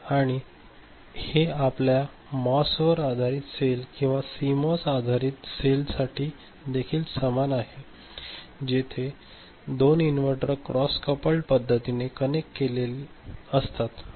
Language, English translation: Marathi, And this is similar for your MOS based cell or CMOS based cell also where 2 inverters will be connected back to back in a cross coupled manner rather, like this